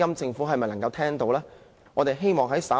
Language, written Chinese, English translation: Cantonese, 政府有否聽到市民的聲音呢？, Has the Government listened to peoples voices?